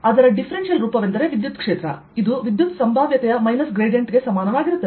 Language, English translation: Kannada, its differential form was that electric field, it was equal to minus the gradient of electric potential